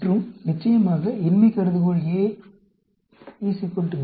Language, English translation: Tamil, And of course, the null hypothesis will be A equal to B